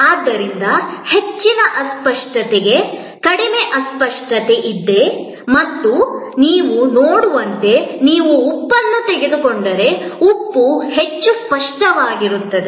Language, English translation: Kannada, So, there is a low intangibility to high intangibility and there as you can see that, if you take salt, salt is highly tangible